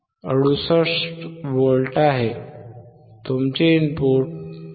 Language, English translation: Marathi, 68V, your input is 5